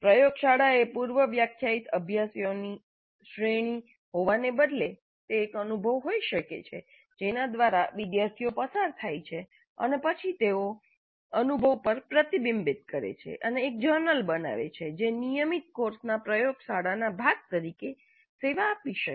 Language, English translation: Gujarati, Instead of the laboratory being a series of predefined exercises, it can be an experience through which the students go through and then they reflect on the experience and create a journal and that can serve as the laboratory component of a regular course